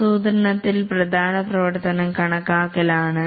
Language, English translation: Malayalam, In the planning, the important activity is estimating